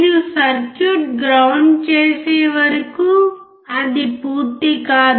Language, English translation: Telugu, Until you ground the circuit it will not finish